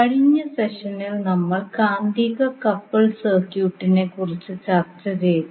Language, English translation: Malayalam, Namaskar, so in last session we discussed about the magnetically coupled circuit